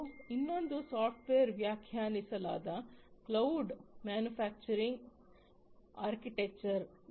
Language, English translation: Kannada, And another one is the software defined cloud manufacturing architecture